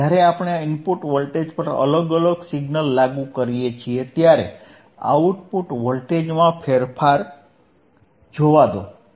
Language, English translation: Gujarati, And let us see the change in the output voltage when we apply different signal at the input voltage all right